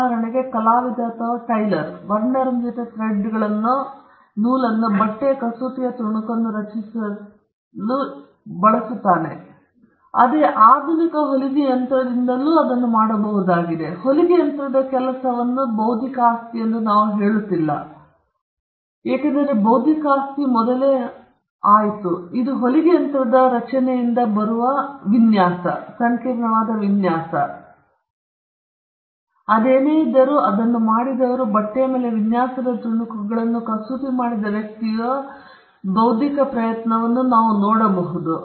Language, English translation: Kannada, For instance, we do not say an artist or a tailor uses colorful threads to create an embroidered piece of cloth, the same could be done today by a modern sewing machine; we don’t say the work of the sewing machine as something intellectual property, because the intellectual property went in much before, in the creation of the sewing machine which was capable of doing this intricate designs on cloth using colorful thread; whereas, the tailor who did it or the person who actually embroidered a piece of design on a cloth, we would say that, that involved an intellectual effort